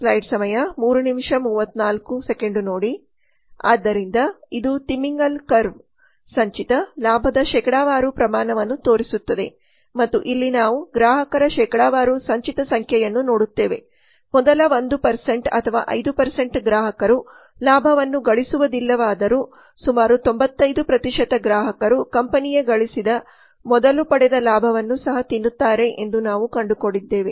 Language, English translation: Kannada, so this is the whale curve shows the cumulative profit percentage and here we see cumulative number of customers percentage so while the first 1 percent or 5 percent of the customers do not make a profit we find that around 95 percent of customers also eat away from the profits received earlier so this is the whale curve which shows that it to manage customers so they are not on profitable for the company